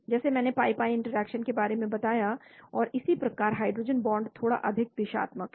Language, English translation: Hindi, like I talked about the pi pi interactions and so on, hydrogen bonds are little bit more directional